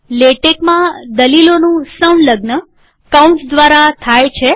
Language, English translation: Gujarati, In Latex, the arguments are enclosed by braces